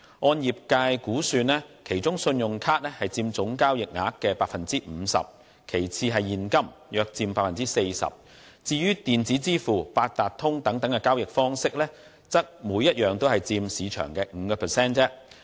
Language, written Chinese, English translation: Cantonese, 按業界估算，其中信用卡佔總交易額的 50%； 其次是現金，約佔 40%； 至於電子支付、八達通等交易方式，則各佔市場的 5%。, As estimated by the industry 50 % of the total transaction value was made through credit cards followed by cash about 40 % while electronic payments and Octopus card payments accounted for 5 % of the market respectively